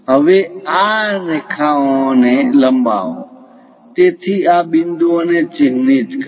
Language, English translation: Gujarati, Now, this one just extend these lines, so mark these points